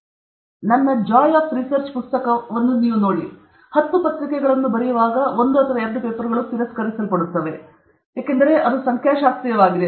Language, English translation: Kannada, See when you write, I have said this in my Joy of Research, Joy of Research book, when you write ten papers, one or two papers will get rejected, because it is statistical